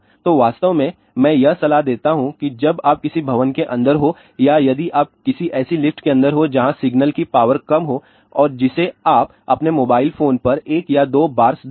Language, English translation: Hindi, So, in fact, I do recommend that when you are inside a building or if you are inside a lift where the signal strength maybe low and that you can see by one or two bars on your mobile phone